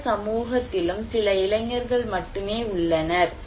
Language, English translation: Tamil, There are only few people, young people in any community